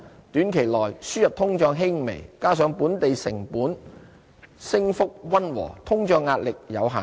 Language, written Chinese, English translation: Cantonese, 短期內，輸入通脹輕微，加上本地成本升幅溫和，通脹壓力有限。, Short - term inflationary pressure is not substantial with mild imported inflation and gentle increase in local cost pressures